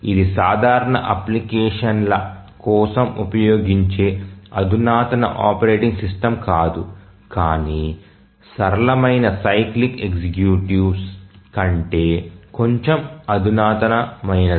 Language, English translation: Telugu, So, this is also not a sophisticated operating system used for simple applications but slightly more sophisticated than the simplest cyclic executives